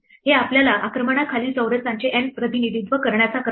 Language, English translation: Marathi, This gives us an order N representation of the squares under attack